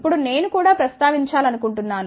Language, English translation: Telugu, Now, I just want to also mention